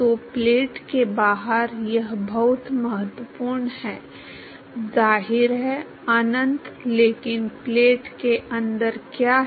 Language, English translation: Hindi, So, this is very important outside the plate it is; obviously, uinfinity, but inside the plate what is it